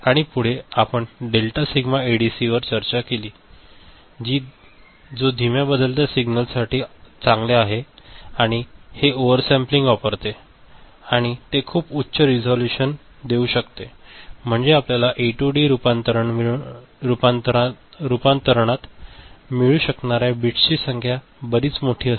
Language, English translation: Marathi, And further we discussed delta sigma ADC which is good for slow changing signals and it uses over sampling of the input and it can give very high resolution I mean, the number of bits that we can get in A to D conversion is quite large